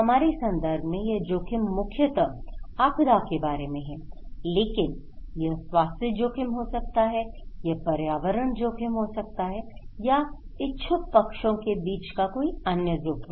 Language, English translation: Hindi, In our context, this is more about disaster risk but it could be health risk, it could be environmental risk, it could be other risk okay so between interested parties